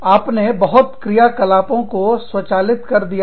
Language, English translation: Hindi, You have automatized, many of your operations